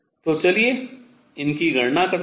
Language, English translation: Hindi, So, let us calculate this